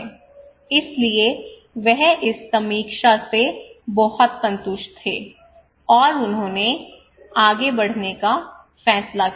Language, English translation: Hindi, So he was very satisfied with this review and he decided to go forward